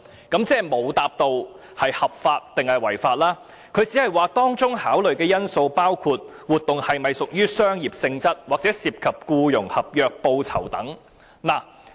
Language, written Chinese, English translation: Cantonese, "局長即是沒有回答是合法或違法，只是說"當中考慮的因素包括活動是否屬商業性質或涉及僱傭合約、報酬等。, The Secretary has in effect not replied if it is legal or illegal only saying consideration factors include whether the event is commercial in nature or whether employment contracts remuneration etc